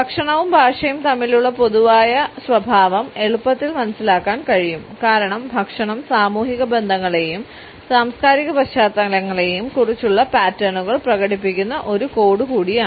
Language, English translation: Malayalam, The commonality between food and language can be understood easily because food is also a code which expresses patterns about social relationships and cultural backgrounds